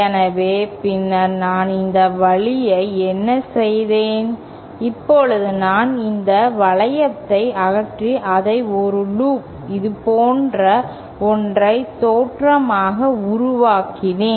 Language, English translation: Tamil, So, thenÉ What I have done this way that I have now removed this loop and made it a loop, single look like this